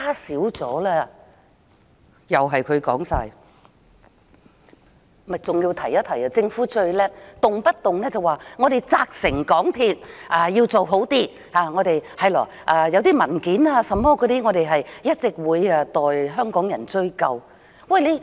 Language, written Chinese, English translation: Cantonese, 我還要提一提，政府最了不起的就是動輒說會責成港鐵公司改善，關於文件等問題，政府會一直代香港人追究。, In addition I have to mention that the Government is very good at saying frequently that it will instruct MTRCL to make improvement and that the Government will continue to follow up on behalf of Hong Kong people in respect of the documents and other problems